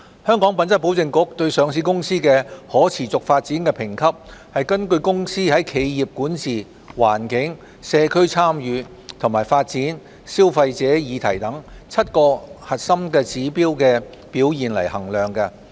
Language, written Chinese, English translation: Cantonese, 香港品質保證局對上市公司的可持續發展評級根據公司在企業管治、環境、社區參與和發展、消費者議題等7個核心指標的表現衡量。, HKQAAs sustainability rating for listed companies is measured by making reference to the companys performance in seven core subjects including corporate governance environment community involvement and development consumer issues etc